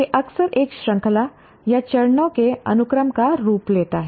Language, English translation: Hindi, It often takes the form of a series of series or a sequence of steps to be followed